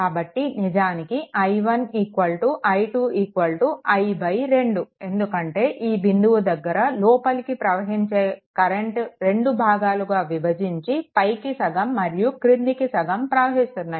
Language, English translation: Telugu, That means i 1 actually is equal to i 2 is equal to i by 2, because whatever current is entering at this point, it will half of the current of half of I will go here half of I will go here